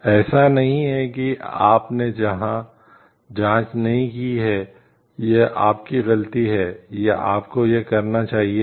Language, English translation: Hindi, It is not you have not checked it is your fault, or you should have done it